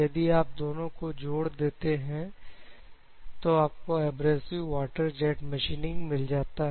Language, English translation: Hindi, So, if you club both two you will get abrasive water jet machining ok